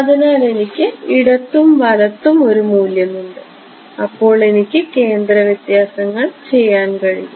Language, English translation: Malayalam, So, that I have a value on the left and the right I can do centre differences